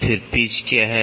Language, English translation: Hindi, So, what is pitch